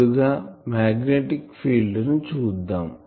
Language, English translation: Telugu, Let us see the magnetic far field if I have written